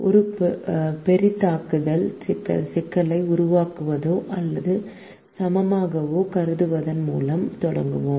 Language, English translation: Tamil, we will begin by considering a maximization problem subject to less than or equal to constraints